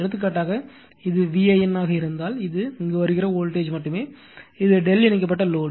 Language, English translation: Tamil, For example, if it is V an that is the voltage across this one only, it is also delta connected load